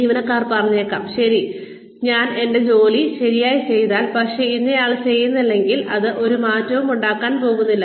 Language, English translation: Malayalam, Employees may say, okay, well, if I do my work properly, but so and so does not, it is not going to make a difference